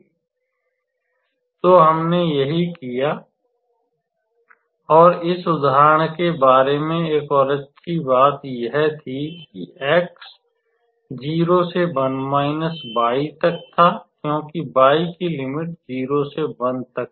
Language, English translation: Hindi, So, that is what we did and another good thing about this example was x was running from 0 to 1 minus y as y was running from 0 to 1 minus x